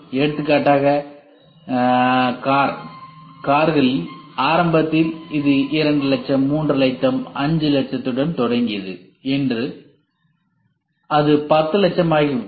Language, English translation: Tamil, for example, Car, cars they say initially it started with 2 lakhs, 3 lakhs, 5 lakhs today it has gone to 10 lakhs